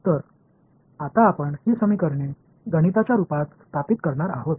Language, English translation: Marathi, So, now, we will go about setting up these equations mathematically